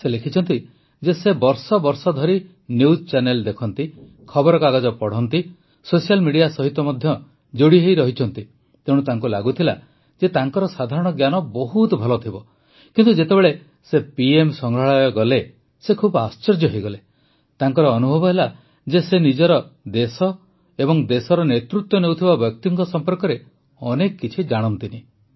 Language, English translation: Odia, He has written that for years he has been watching news channels, reading newspapers, along with being connected to social media, so he used to think that his general knowledge was good enough… but, when he visited the PM Museum, he was very surprised, he realized that he did not know much about his country and those who led the country